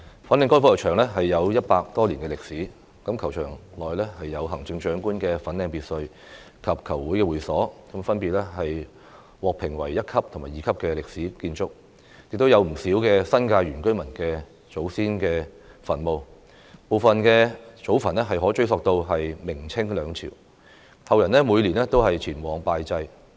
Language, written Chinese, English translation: Cantonese, 粉嶺高爾夫球場有100多年歷史，球場內有行政長官粉嶺別墅及球會會所，分別獲評為一級及二級歷史建築，亦有不少新界原居民祖先墳墓，部分祖墳可追溯至明、清兩朝，後人每年都前往拜祭。, The Fanling Golf Course has more than 100 years of history . The Fanling Lodge and the clubhouse of the golf club graded as Grade 1 and Grade 2 historic buildings respectively are situated there . Many ancestral graves of indigenous inhabitants of the New Territories which can be traced back to Ming or Qing Dynasties are also located in the golf course and visited by descendants annually